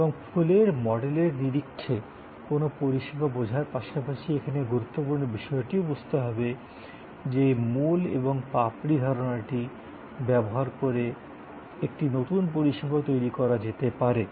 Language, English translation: Bengali, And the important thing here in addition to understanding a service in terms of the flower model, the important thing here is to also understand that these core and petal concept can be used very well to create a new service